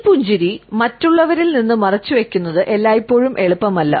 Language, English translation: Malayalam, It is not always easy to conceal this smile from others